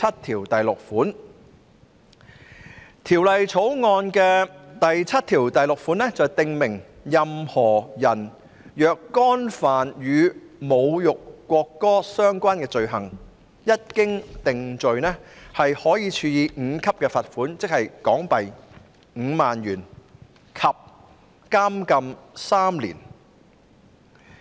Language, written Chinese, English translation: Cantonese, 《條例草案》第76條訂明任何人若干犯與侮辱國歌相關的罪行，一經定罪，可處第5級罰款，即5萬港元，以及監禁3年。, Clause 76 of the Bill provides that a person who commits an offence relating to insulting the national anthem is liable on conviction to a fine at level 5 ie . 50,000 and to imprisonment for three years